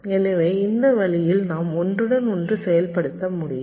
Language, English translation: Tamil, so in this way we can get overlapped execution